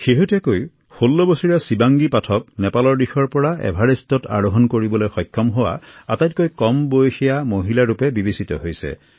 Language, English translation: Assamese, Just a while ago, 16 year old Shivangi Pathak became the youngest Indian woman to scale Everest from the Nepal side